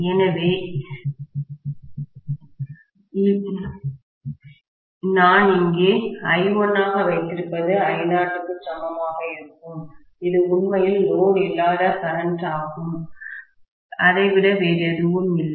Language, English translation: Tamil, So, what I am having as I1 here will be equal to I naught, that is actually the no load current itself, nothing more than that